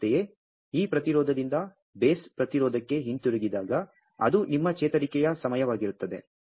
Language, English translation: Kannada, Similarly, when it comes back from this resistance to the base resistance so that is your recovery time